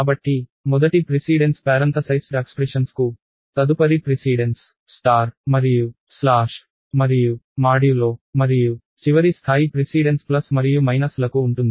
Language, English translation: Telugu, So, the first precedence is for parenthesized expressions, the next precedence is for star and slash and modulo and the last level of precedence is for plus and minus